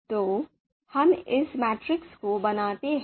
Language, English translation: Hindi, So let us create this matrix